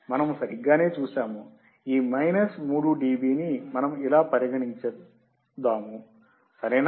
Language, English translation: Telugu, We have seen right, we have considered this minus 3 dB like this is, right